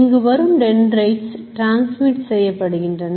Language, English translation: Tamil, These are dendrites